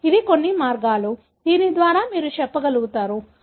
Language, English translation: Telugu, So, this is some of the ways, by which you will be able to tell